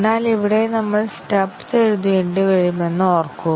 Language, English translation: Malayalam, But just remember that here we will have to write stubs